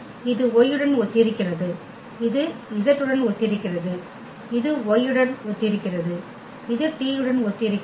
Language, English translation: Tamil, So, corresponding to this x this is corresponding to y this is corresponding to z and this is corresponding to y and this is corresponding to t